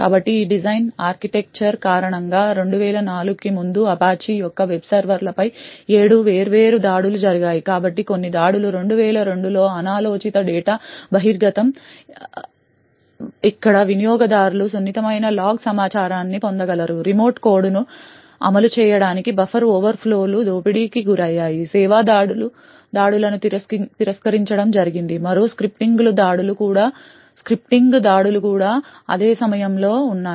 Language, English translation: Telugu, So due to this design architecture there have been seven different attacks on the Apache’s web servers prior to 2004, so some of the attacks were unintended data disclosure in 2002 where users could get accessed to sensitive log information, buffer overflows were exploited in order to execute remote code, denial of service attacks were done, another scripting attacks were also on around the same time